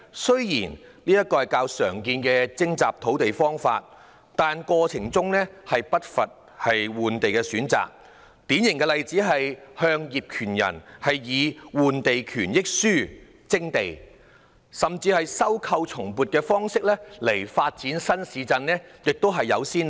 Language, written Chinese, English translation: Cantonese, 雖然這是較常用的徵集土地方法，但過程中不乏換地的選擇，典型例子是向業權人以"換地權益書"徵地，甚至亦有先例是以收購後重新撥地的方式來發展新市鎮。, This was a more commonly practice for land requisition but during the process there was no lack of choices for land exchange . A typical example was requisition of land from landowners by offering exchange entitlement . There was even a precedent of new town development by reallocation of land after acquisition